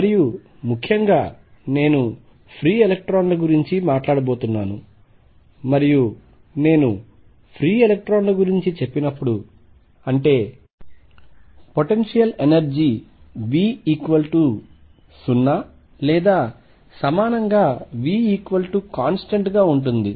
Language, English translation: Telugu, And in particular I am going to talk about free electrons, and when I say free electrons; that means, the potential energy v is equal to 0 or equivalently v equals constant